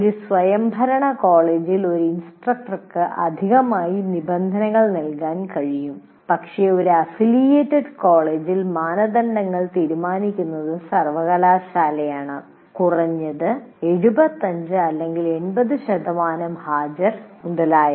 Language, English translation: Malayalam, In an autonomous college, one can, an instructor can also additionally stipulate, but in an affiliated college, it is a college or university decides the norms, like minimum 75% attendance or 80% attendance, and so on